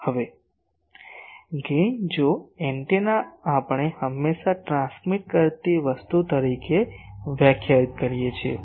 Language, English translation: Gujarati, Now, gain if the antenna we always define as a transmitting thing